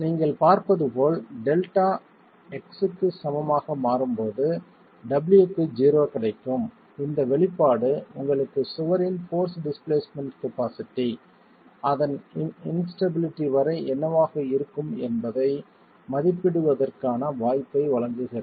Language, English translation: Tamil, As you can see when delta becomes equal to x you can get you will get zero there for w the expression gives you the possibility of estimating up to instability what the force displacement capacity of the wall can be